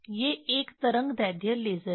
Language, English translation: Hindi, These are one wave length laser